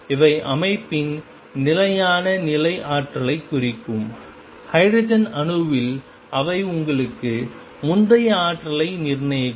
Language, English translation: Tamil, And these will represent the stationary state energy of the system for example, in hydrogen atom they will give you the energy is determined earlier